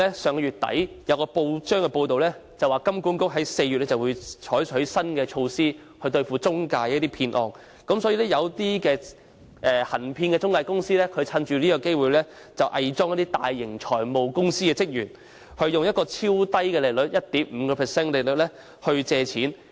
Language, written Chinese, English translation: Cantonese, 上月底有報章報道，香港金融管理局將於4月採取新措施以打擊中介騙案，所以，一些行騙的中介藉此期間偽裝為大型財務公司的職員，以低至 1.5% 的超低利率誘使市民貸款。, At the end of last month it was reported in the press that the Hong Kong Monetary Authority would adopt new measures in April to combat fraud cases involving intermediaries . For this reason some dishonest intermediaries made use of this interim period to disguise as employees of big finance companies and induce members of the public to borrow money at an unusually low interest rate of 1.5 % . Unawares a construction worker fell prey to them